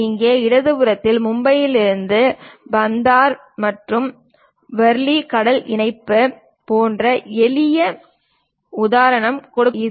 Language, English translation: Tamil, Here, on the left hand side a simple example like Bandra Worli sea link from Mumbai is shown